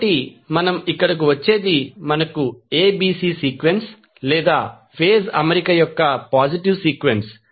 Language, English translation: Telugu, So, what we get here we get ABC sequence or the positive sequence of the phase arrangement